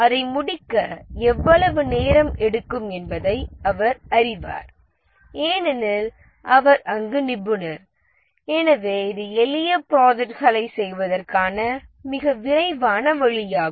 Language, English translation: Tamil, He knows how much time it takes because he is the expert there and therefore this is the fastest way of doing the simple projects